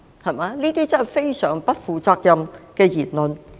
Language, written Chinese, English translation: Cantonese, 這些真的是非常不負責任的言論。, Those remarks are grossly irresponsible